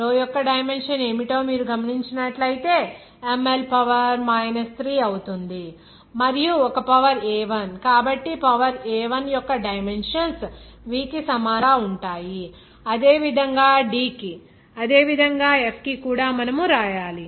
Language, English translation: Telugu, If you note that what is the dimension of the row then it will be ML to the power 3 and there is a power a1so these dimensions to the power a1 similarly for v, similarly for D, similarly for F, also you have to write down like this